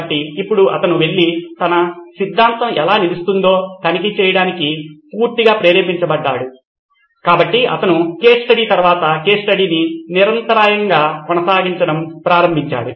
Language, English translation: Telugu, So now he was totally motivated to go and check out how his theory will stand, so he started running case study after case study